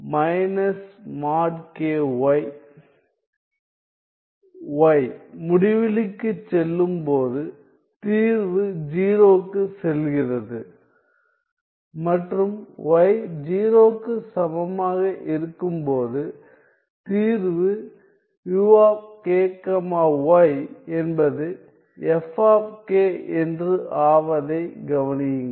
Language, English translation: Tamil, Notice that as y goes to infinity the solution goes to 0 and at y equal to 0 the solution u k y is f of k